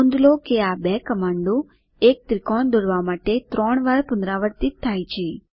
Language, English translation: Gujarati, Note that these two commands are repeated thrice to draw a triangle